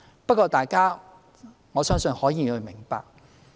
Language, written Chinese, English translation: Cantonese, 不過，我相信各位議員可以明白。, However I believe that Members can understand the situation